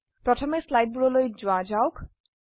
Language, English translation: Assamese, Let us first go back to the slides